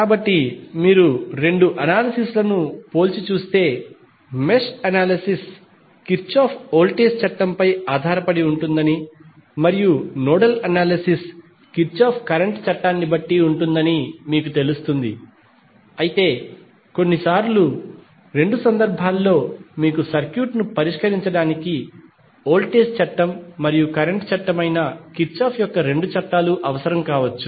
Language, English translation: Telugu, So, if you compare both of the analysis you will come to know that mesh analysis is depending upon Kirchhoff Voltage Law and nodal analysis is depending upon Kirchhoff Current Law but sometimes in both of the cases you might need both of the Kirchhoff’s Laws that is voltage law as well as current law to solve the circuit